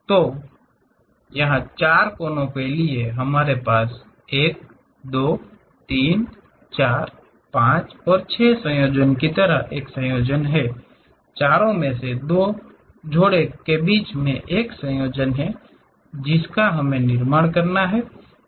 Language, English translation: Hindi, So, here for four vertices, we have a combination like 1 2 3 4 5 6 combinations we have; is a combination in between two pairs from out of 4 we have to construct